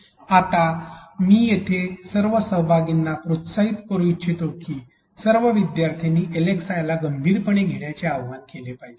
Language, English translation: Marathi, Now here I would like to encourage all participants, urge all learners to take LxI seriously